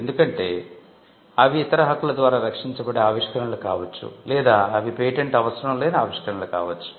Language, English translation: Telugu, Because they could be inventions which could be protected by other means of rights, or they could be inventions which need not be patented at all